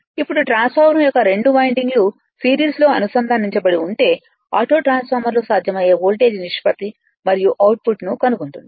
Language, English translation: Telugu, Now if the 2 windings of the transformer are connected in series to form as auto transformer find the possible voltage ratio and output right